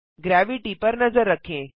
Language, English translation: Hindi, Take a look at Gravity